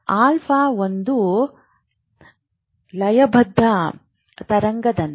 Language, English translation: Kannada, Alpha like a rhythmic wave